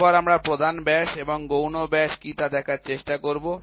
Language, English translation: Bengali, Then, we will try to see what is major diameter and minor diameter